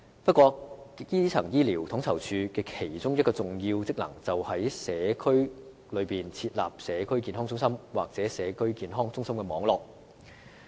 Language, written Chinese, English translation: Cantonese, 不過，基層醫療統籌處的其中一項重要職能，便是在社區設立社區健康中心或社區健康中心網絡。, However a key function of the Primary Care Office is to set up Community Health Centres or CHC networks in local communities